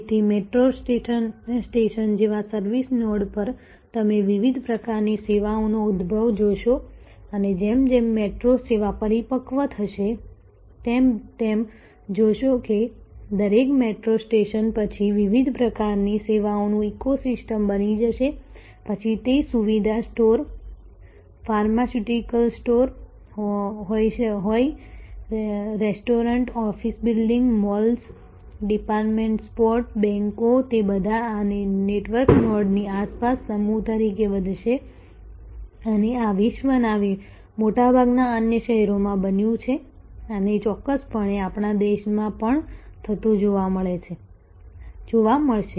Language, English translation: Gujarati, So, at the service nodes like a metro stations you see emergence of different types of services and as this the metro service matures you will see that each metro station will, then become an ecosystem of different types of services be it convenience store, pharmaceutical store, restaurants, office buildings, malls, department stores, banks, they will all kind of grow as cluster around this network nodes and this as happened in most other cities around in the world and will definitely see happening in our country as well